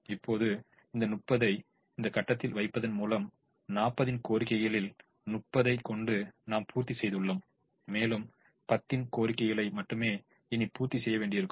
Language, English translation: Tamil, by putting thirty here, we have met thirty out of the forty demand and only ten more demand has to be met